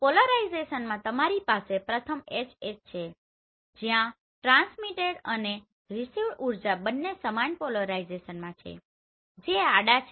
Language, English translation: Gujarati, So in polarization you have first one is HH where the transmitted and received energy both are in same polarization that is horizontal